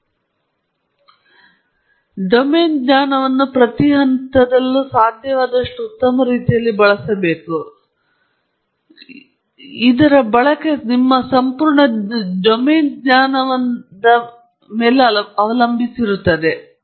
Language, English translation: Kannada, So, the domain knowledge has to be used at every stage in the best possible way and that completely depends, of course, on how much domain knowledge you have